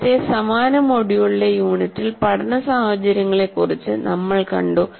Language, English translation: Malayalam, In our earlier unit in the same module, we spent something about learning situations